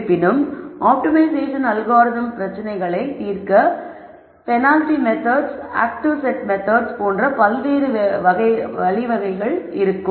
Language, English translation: Tamil, However, optimization algorithms will have di erent ways of solving this problem and there are methods called penalty methods, active set methods and so on, we are not going to talk about those methods here